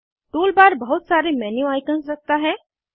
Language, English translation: Hindi, Tool bar has a number of menu icons